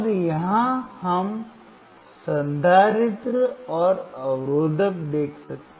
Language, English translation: Hindi, And here we can see the capacitor and the resistor